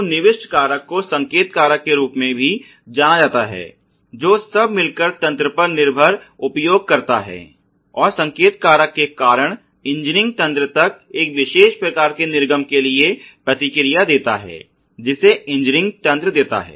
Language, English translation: Hindi, So, the input factor is also known as the signal factor which is the by and large dependent user of the system, and because of the signal factor the engineering system gives response for an output ok of a particular type, which you know the engineer system is supposed to give